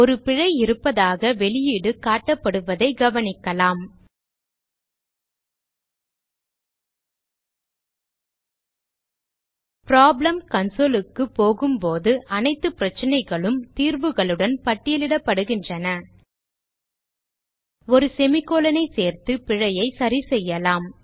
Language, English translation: Tamil, We notice that there is output indicating that there is an error and when we go to problem console all the problem with possible solution are listed So Let us resolve the error by adding a semi colon